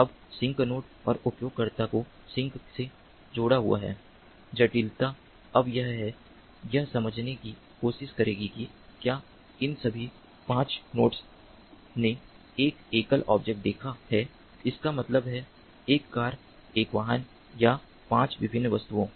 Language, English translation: Hindi, the complexity now is that it will try to understand that, whether all these five nodes have seen a single object, that means a car, a vehicle, or five different objects